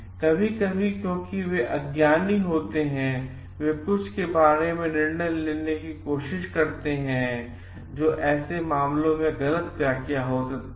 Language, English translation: Hindi, Sometimes because they are ignorant, they try to for judgments about some cases which may be a wrong interpretation